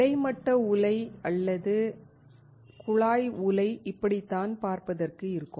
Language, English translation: Tamil, This is how horizontal furnace or tube furnace look like